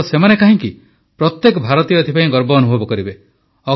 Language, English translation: Odia, Not just that, every Indian will feel proud